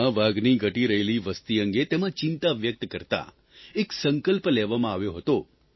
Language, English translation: Gujarati, At this summit, a resolution was taken expressing concern about the dwindling tiger population in the world